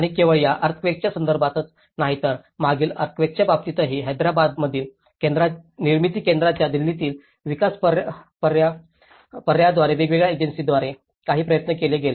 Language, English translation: Marathi, And not only in terms of this earthquake but also the previous past earthquakes, there has been some efforts by different agencies by development alternatives in Delhi, Nirmithi Kendraís in Hyderabad